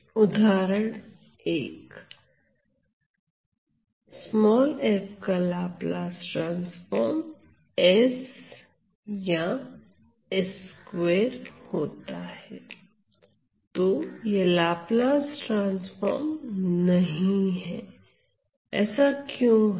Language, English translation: Hindi, So, this is not a Laplace transform; why is that